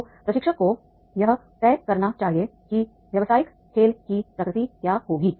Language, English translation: Hindi, So that trainer should decide the what will be the nature of business game